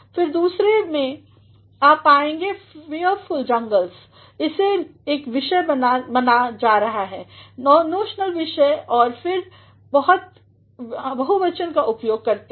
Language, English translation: Hindi, Again, in the second you will find fearful jungles, this is being considered as a subject, notional subject and then we make use of the plural